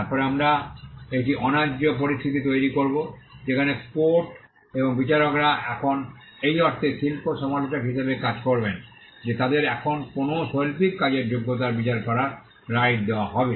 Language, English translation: Bengali, Then we would create an unfair situation where quotes and judges will now act as art critics in the sense that they would now be given the right to judge the merit of an artistic work